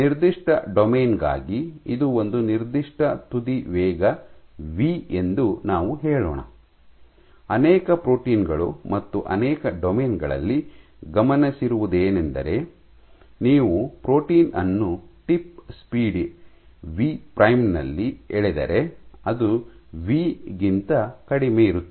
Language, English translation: Kannada, Let us say for a given domain this is as a certain tip speed v, what has been observed is for many proteins and many domains, if you pull the protein at a tip speed v prime which is less than v